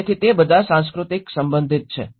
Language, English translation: Gujarati, So it all about the cultural belonging